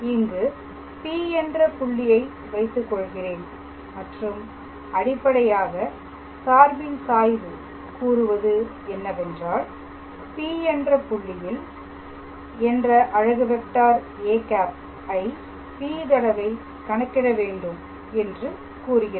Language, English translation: Tamil, So, I can put a P here and that basically says that the gradient of the function has to be calculated at the point P times the unit vector a cap